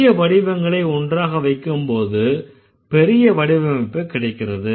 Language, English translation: Tamil, So, smaller structures being kept together result in the bigger structures